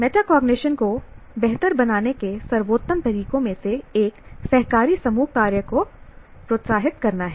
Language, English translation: Hindi, One of the best ways to improve metacognition is encouraging cooperative group work